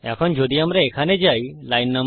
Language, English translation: Bengali, Now if we go here line no